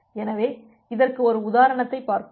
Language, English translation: Tamil, So, let us see an example of this